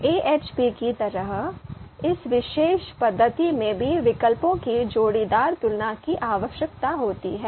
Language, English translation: Hindi, Just like AHP, this particular method also requires pairwise comparisons of the you know alternatives